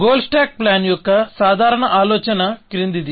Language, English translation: Telugu, The general idea of goal stack planning is the following